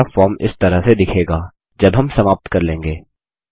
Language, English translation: Hindi, And this is how our form will look like, when we are done